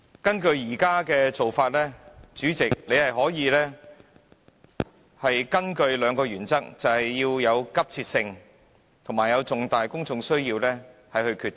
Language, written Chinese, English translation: Cantonese, 根據現時做法，主席可以根據兩個原則作出決定，分別是有急切性及重大公眾需要。, Under the existing practice the permission of the President may be sought for asking an urgent question on the ground that it is of an urgent character and it relates to a matter of public importance